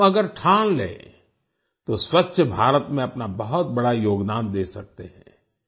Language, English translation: Hindi, If we resolve, we can make a huge contribution towards a clean India